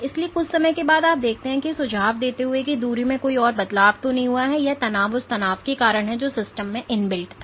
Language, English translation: Hindi, So, after some time you see that there is no more change in distance suggesting that this relaxation is because of the tension which was inbuilt in the system